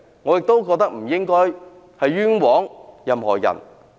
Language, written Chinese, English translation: Cantonese, 我亦認為不應該冤枉任何人。, I also think that we should not wrongly accuse anyone